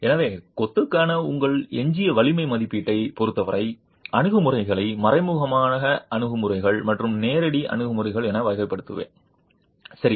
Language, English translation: Tamil, So, as far as your residual strength estimation for masonry, I would classify approaches as indirect approaches and direct approaches